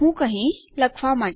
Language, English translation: Gujarati, So, Ill say for writing